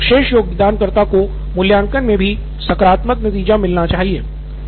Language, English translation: Hindi, So the best contributor can get positive in terms of assessment also